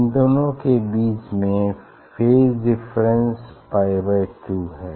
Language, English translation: Hindi, initial phase between these two is pi by 2